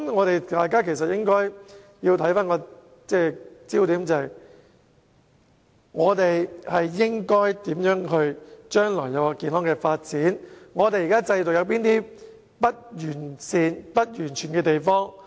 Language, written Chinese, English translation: Cantonese, 大家的焦點應該放在香港如何能夠健康地發展下去，以及找出現時制度上不完善或不完全的地方。, We should focus on how Hong Kong can continue to develop in a healthy manner and identify the imperfections or inadequacies of the existing system